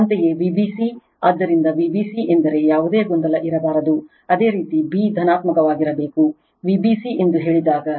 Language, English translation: Kannada, Similarly, V b c right; So, V b c means there should not be any confusion, when you say V b c that b should be positive